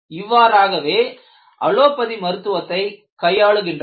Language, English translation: Tamil, So, this is how they handle it in allopathy